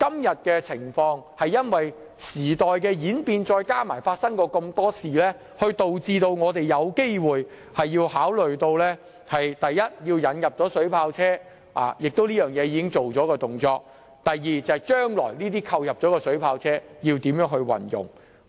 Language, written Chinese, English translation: Cantonese, 由於時代演變，加上過去種種事情，我們今天才有需要考慮以下事項：第一，引入水炮車，而此事其實已經完成；第二，將來如何運用這些已購入的水炮車。, With the change of times in addition to various incidents in the past it is now necessary for us to consider the following aspects . Firstly it is the introduction of water cannon vehicles which has in fact been completed already . Secondly how should these water cannon vehicles which have already been purchased be used in the future?